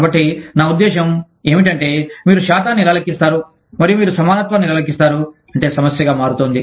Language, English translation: Telugu, So, there is, i mean, how do you calculate the percentages, and how do you calculate the parity, is what, becomes a problem